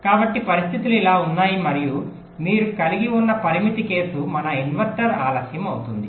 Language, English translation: Telugu, ok, so there are situations and the limiting case you can have this will be our inverter delay this much